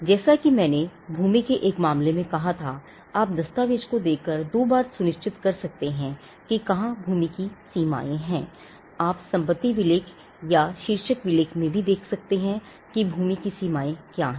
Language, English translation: Hindi, As I said in the case of a land, you can doubly be sure you can be sure by looking at the document, where the boundaries of the land are, you could also go and look into the property deed or the title deed and see what are the boundaries of the land